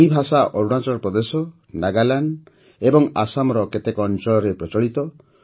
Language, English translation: Odia, This language is spoken in Arunachal Pradesh, Nagaland and some parts of Assam